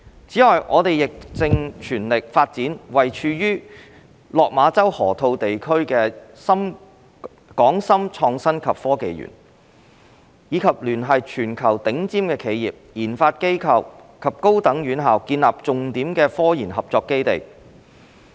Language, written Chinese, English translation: Cantonese, 此外，我們亦正全力發展位處落馬洲河套地區的港深創新及科技園，以聯繫全球頂尖企業、研發機構和高等院校建立重點科研合作基地。, Furthermore we are also taking forward the development of the Hong Kong - Shenzhen Innovation and Technology Park HSITP located in the Lok Ma Chau Loop in full swing with a view to establishing a key base for cooperation in scientific research through converging the worlds top - tier enterprises RD institutions and higher education institutions